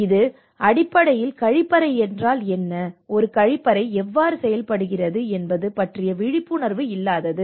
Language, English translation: Tamil, It is basically their lack of awareness on what a toilet is and what how a toilet functions